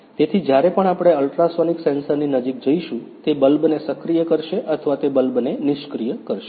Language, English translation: Gujarati, So, whenever we go near the ultrasonic sensor, it will activate the bulb or it will deactivate the bulb